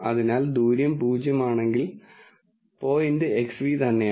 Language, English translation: Malayalam, So, the distance is zero then the point is X nu itself